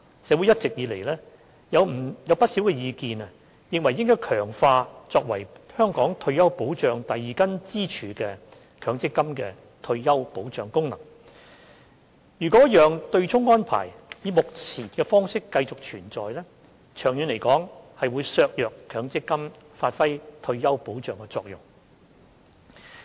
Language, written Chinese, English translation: Cantonese, 社會一直以來有不少意見認為應強化作為香港退休保障第二根支柱的強積金的退休保障功能，若讓對沖安排以目前的方式繼續存在，長遠會削弱強積金發揮退休保障的作用。, All along there have been views in the community that the function played by the MPS System as the second pillar of retirement protection of Hong Kong should be strengthened and that the effect of retirement protection achieved under the MPS System will be undermined by the continual existence of the offsetting arrangement in its present form long term